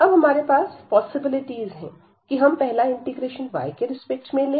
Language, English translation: Hindi, So, having this now we have the possibilities that we first take the integral with respect to y